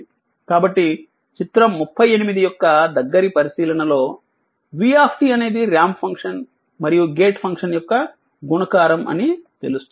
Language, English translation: Telugu, So, a close observation of figure 38 it reveals that v t is a multiplication of a ramp function and a gate function